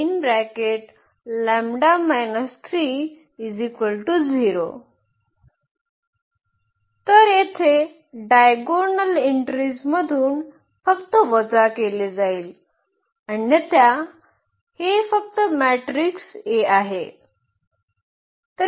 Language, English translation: Marathi, So, here the lambda will be just subtracted from the diagonal entries otherwise this is just the matrix a